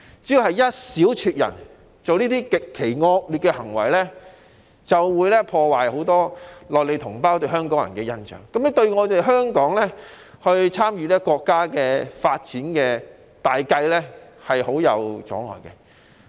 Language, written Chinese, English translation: Cantonese, 只要有一小撮人作出這類極其惡劣的行為，便足以破壞很多內地同胞對香港人的印象，對香港參與國家發展大計構成極大阻礙。, A small group of people with such extremely offending acts will be enough to tarnish the impression among many compatriots in the Mainland of Hong Kong people thus causing great hindrance to Hong Kongs participation in the overall development of the country